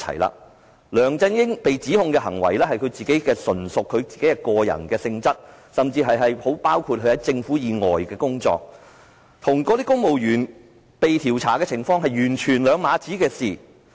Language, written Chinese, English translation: Cantonese, 梁振英被指控的行為，純屬他的個人行為，甚至包括他在政府以外的工作，與公務員被調查的情況是兩碼子事。, The allegations against LEUNG Chun - ying are purely related to his personal behaviour including his work outside the Government and this has nothing to do with investigations of civil servants . Being the head of the Government LEUNG Chun - ying has done whatever he wanted